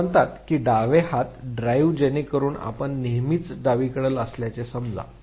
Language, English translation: Marathi, Those who are says left hand drive, so you always you are suppose to be on the left side